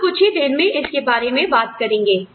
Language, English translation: Hindi, We will talk about it, in a little while